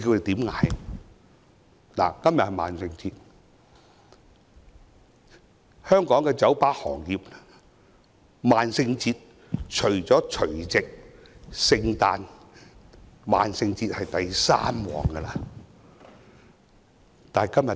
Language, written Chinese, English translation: Cantonese, 今天是萬聖節，對香港的酒吧行業來說，這天是除了除夕、聖誕節外，排第三的生意高峰日子。, Today is Halloween . For the bar industry in Hong Kong this day ranks third as a peak business day just behind New Years Eve and Christmas